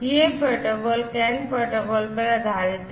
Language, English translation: Hindi, So, this you know it is based on the CAN protocol